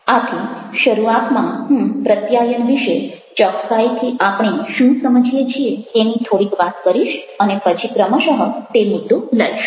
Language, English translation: Gujarati, so i shall be talking little bits in the beginning what exactly we understand about the communication, and then gradually i shall take up to the topic